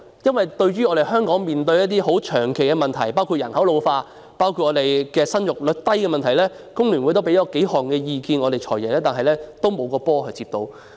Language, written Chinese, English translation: Cantonese, 就香港長期面對的一些問題，包括人口老化、生育率低等，工聯會曾向"財爺"提出意見，但沒有一個"波"被他接到。, Regarding some problems that Hong Kong has been facing for a long time including an ageing population and the low fertility rate FTU has expressed our views to the Financial Secretary but he has failed to catch any of the balls